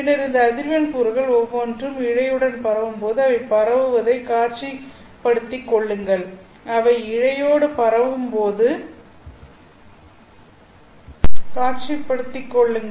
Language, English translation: Tamil, And then visualize the propagation as each of these frequency components propagating along the fiber